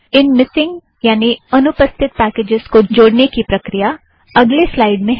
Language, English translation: Hindi, The way to include such missing packages is explained in the next slide